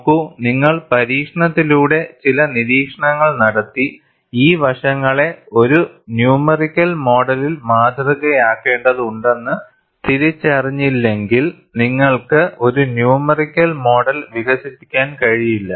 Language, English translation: Malayalam, See, unless you make certain observations by experiment and then identify, these aspects have to be modeled by a numerical model; you cannot develop a numerical model